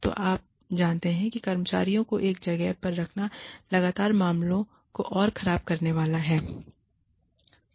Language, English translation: Hindi, So, you know, constantly putting the employee in a spot is, going to make matters, worse